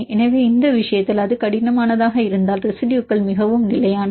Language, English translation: Tamil, So, in this case if it is rigid and then the residues are highly stable